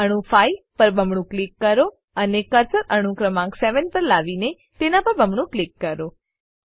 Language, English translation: Gujarati, So, double click on atom 5 and bring the cursor to atom number 7 and double click on it